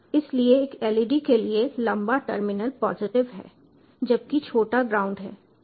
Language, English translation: Hindi, so for a led the longer terminal is the positive one, where as the shorter is the ground